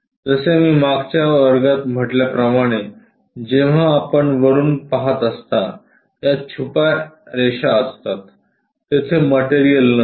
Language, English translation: Marathi, Like I said in thelast class when you are looking from top, these lines are hidden, material is not there